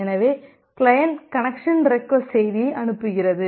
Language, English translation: Tamil, So the client sends a connection request message